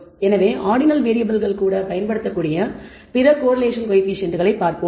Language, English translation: Tamil, So, let us look at other correlation coefficients that can be applied even to ordinal variables